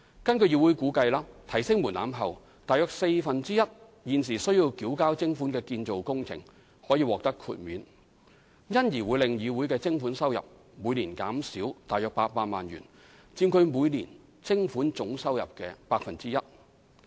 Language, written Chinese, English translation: Cantonese, 根據議會估計，提高門檻後，約四分之一現時須繳交徵款的建造工程可獲豁免，因而會令議會的徵款收入每年減少約800萬元，佔其每年徵款總收入的 1%。, According to CICs assessment after raising the levy threshold around one fourth of the construction operations currently paying the levy will be exempted . CIC would hence forgo around 8 million annually equivalent to about 1 % of its annual levy income